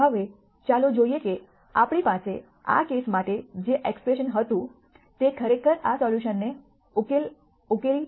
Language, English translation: Gujarati, Now let us see whether the expression that we had for this case actually uncovers this solution